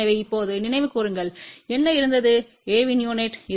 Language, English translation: Tamil, So, just recall now, what was the unit of A